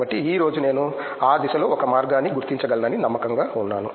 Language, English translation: Telugu, So, today I feel confident I can figure out a way in that direction